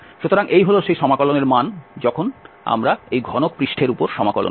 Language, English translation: Bengali, So, that is the value of that integral when we integrate over this cubic surface